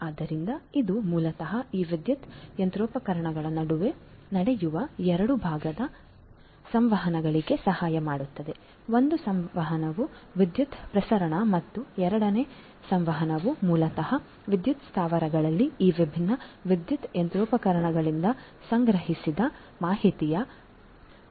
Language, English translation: Kannada, So, this will basically help in 2 types of communication happening between these power machinery, one communication is the transmission of electricity and the second form of communication is basically the transmission of the information that are collected from these different power machinery in the power plants right so, 2 types of communication are going to happen